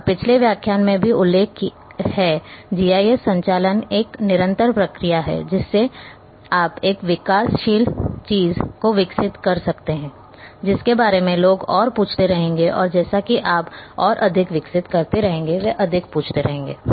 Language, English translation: Hindi, And also mention in previous lecture there is a continuous process GIS operations are continuous you keep a developing something, people will keep asking more; and as you develop more they will keep asking more